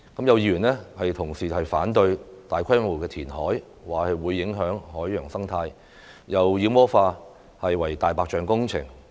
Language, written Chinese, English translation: Cantonese, 有議員同事反對大規模填海，說會影響海洋生態，又把"明日大嶼願景"妖魔化為"大白象"工程。, Some Honourable colleagues oppose the large - scale reclamation project on the grounds that it would affect the marine ecology . They also demonize the Lantau Tomorrow Vision as a white - elephant project